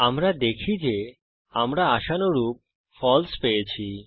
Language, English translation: Bengali, We see that we get false as expected